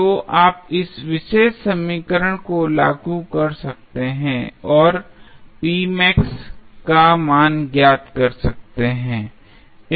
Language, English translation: Hindi, So, you apply this particular equation and find out the value of p max